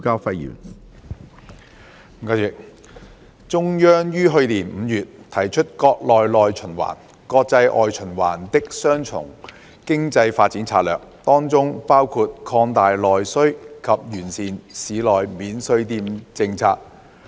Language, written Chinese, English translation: Cantonese, 主席，中央於去年5月提出國內內循環、國際外循環的"雙循環"經濟發展策略，當中包括擴大內需及完善市內免稅店政策。, President in May last year the Central Authorities put forward an economic development strategy of dual circulation ie . the domestic internal circulation and the international external circulation which includes expanding domestic demand and improving the policy on duty - free shops in cities